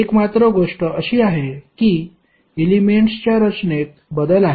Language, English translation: Marathi, The only thing is that the change in the orientation of the elements